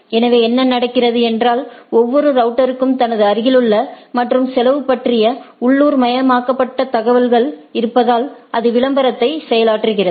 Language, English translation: Tamil, So, what happens that every router has a localized information about his neighbor and the cost and it goes on advertising right